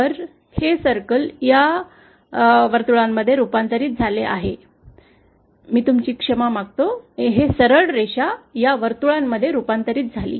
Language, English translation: Marathi, So, this circle gets converted to this circle, I beg your pardon, this straight line gets converted to this circle